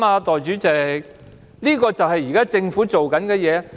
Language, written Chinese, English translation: Cantonese, 但這就是現在政府做的事。, But this is exactly what the Government is doing now